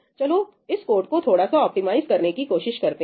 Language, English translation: Hindi, Let us try to optimize this code a little bit